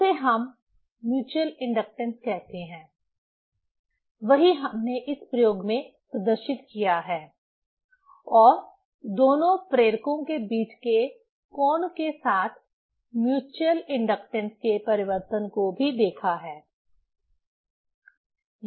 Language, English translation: Hindi, That we tell the mutual inductance; that we have demonstrated this experiment and also have seen the variation of the mutual inductance with the angle between the two inductors